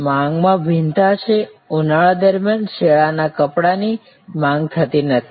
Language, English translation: Gujarati, Demand variation is there, winter clothes are not demanded during summer